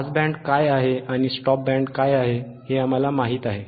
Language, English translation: Marathi, We know what is pass band, we know what is stop band we also know, correct